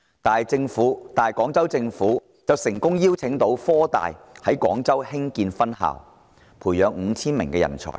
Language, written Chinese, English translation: Cantonese, 反觀廣州市政府卻成功邀得科大到廣州開設分校，培養 5,000 名人才。, The Guangzhou Municipal Government in contrast has succeeded in drawing HKUST to set up a campus in Guangzhou and nurture talent numbering 5 000